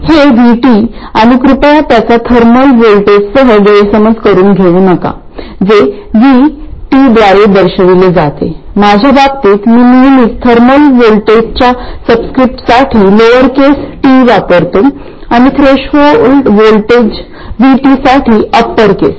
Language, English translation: Marathi, This VT, and please don't confuse it with the thermal voltage which is also denoted by VT, in my case I always use the lower case T for the subscript in the thermal voltage and upper case for the threshold voltage VT